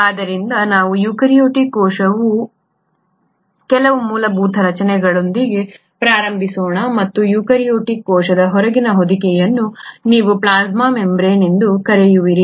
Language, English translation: Kannada, So let us start with some of the basic structures of a eukaryotic cell and what you find is the outermost covering of the eukaryotic cell is what you call as the plasma membrane